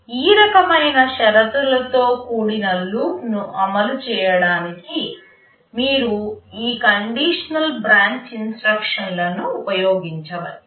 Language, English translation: Telugu, You can use this conditional branch instruction to implement this kind of conditional loop